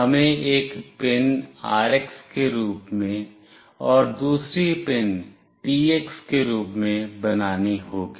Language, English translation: Hindi, We have to make one pin as RX, and another pin as TX